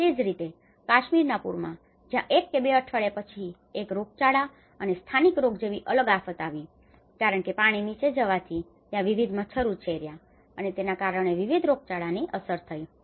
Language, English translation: Gujarati, Similarly, in Kashmir floods where after one week or two weeks then it has resulted a different set of disaster, the epidemic and endemic diseases because the water have went down and different mosquitos have breed, and it has resulted different set of impacts